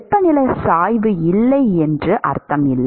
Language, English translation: Tamil, It does not mean that there is no temperature gradient